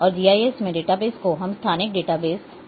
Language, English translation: Hindi, And the database which in GIS we use we call as a spatial database